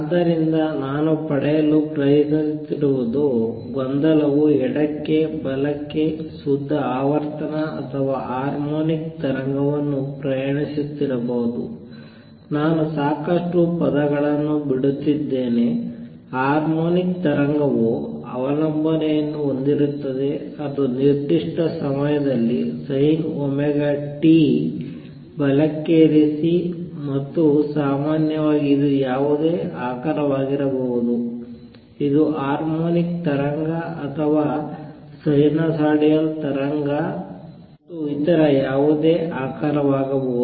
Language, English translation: Kannada, So, what I am try to get at is that the disturbance could be traveling to the left to the right a pure frequency or harmonic wave, I am just dropping lot of term harmonic wave would have a dependence which is sin omega t at a given place right and where as in general it could be any shape this is harmonic wave or sinusoidal wave and others could be any shape